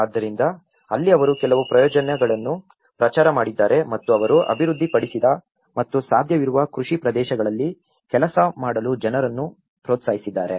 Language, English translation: Kannada, So, that is where they have also promoted certain schemes and they also developed and encouraged the people to work on the possible cultivated areas